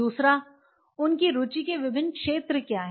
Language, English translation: Hindi, Second what are their different areas of interest